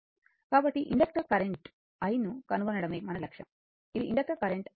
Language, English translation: Telugu, So, our objective is to find the inductor current i, this is the inductor current i, right